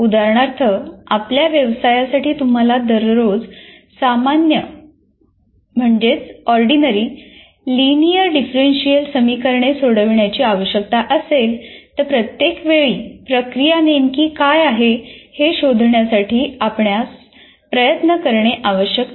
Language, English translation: Marathi, If, for example, your profession calls for solving ordinary linear differential equations every day, then obviously you don't have to exert yourself to find out what exactly the procedure I need to use